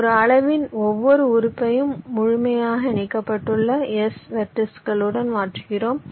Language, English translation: Tamil, you replace each element of a size s with s vertices which are fully connected